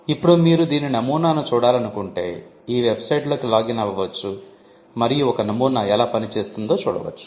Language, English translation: Telugu, Now if you want to see a sample of this, you could just log on to this website and and see how a sample works